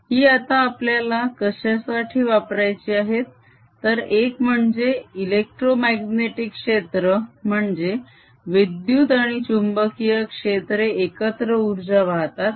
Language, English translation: Marathi, what we want to use these now for is to show that number one, the electromagnetic field, that means electric and magnetic field together transport energy